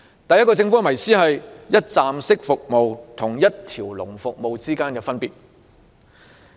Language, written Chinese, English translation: Cantonese, 第一個迷思是一站式服務和一條龍服務之間的分別。, The first is about the differences between one - stop services and package services